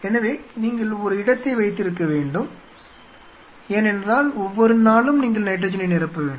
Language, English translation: Tamil, So, you have to have a space because every day you have to replenish nitrogen